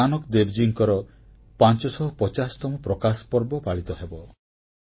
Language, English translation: Odia, The 550th Prakash Parv of Guru Nanak Dev Ji will be celebrated in 2019